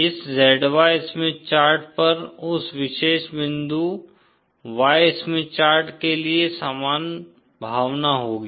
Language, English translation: Hindi, That particular point on this Z Y Smith chart will have the same sense for the Y Smith chart